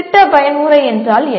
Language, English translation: Tamil, What is project mode